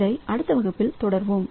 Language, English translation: Tamil, So, we'll continue with this in the next class